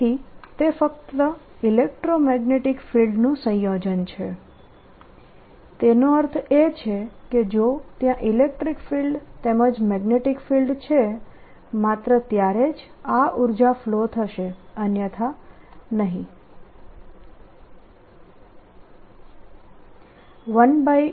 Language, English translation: Gujarati, that means if there's an electric field as well as a magnetic field, then only this energy flows, otherwise it's not there